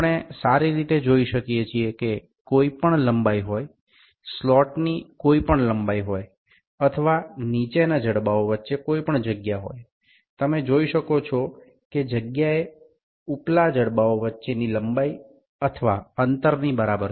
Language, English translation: Gujarati, We can very well see that whatever the length, whatever is the slot length or whatever is the gap between the lower jaws, that you can see the space is equivalent to the lengths between or the distance between the upper jaws